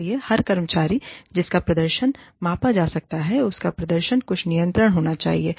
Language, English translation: Hindi, So, every employee, whose performance is being measured, should have some control over the performance